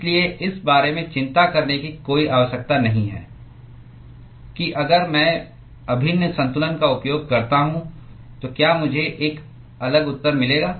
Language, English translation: Hindi, So, there is no need to worry about whether if I use integral balance, will I get a different answer